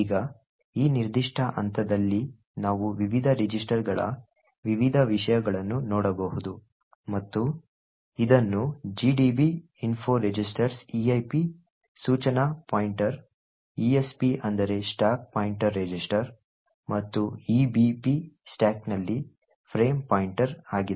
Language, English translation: Kannada, Now at this particular point we can look at the various contents of the various registers and this can be done with a command like info registers eip which stands for the instruction pointer, esp which stands for the stack pointer register and the ebp which is the frame pointer in the stack